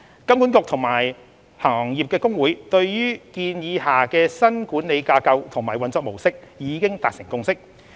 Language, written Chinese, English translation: Cantonese, 金管局和行業公會對於建議下的新管理架構和運作模式已達成共識。, HKMA and the Industry Associations have reached a consensus on the new operating model under the proposal